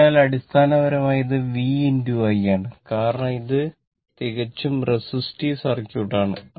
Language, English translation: Malayalam, So, basically, it is a v into i because pure resistive circuit